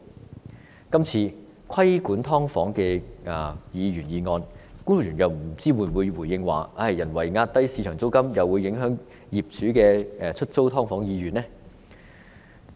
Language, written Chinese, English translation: Cantonese, 不知道就今次有關規管"劏房"的議員議案，官員又會否回應表示，人為壓低市場租金，會影響業主出租"劏房"的意欲呢？, I wonder whether in response to this Members motion on regulating subdivided units the officials will repeat that if the market rent is pushed down artificially it will affect owners desire to lease out subdivided units